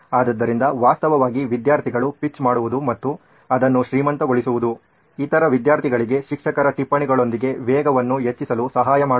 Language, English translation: Kannada, So actually students pitching in and making it richer, actually helps the other students also sort of get up to speed with the teacher’s notes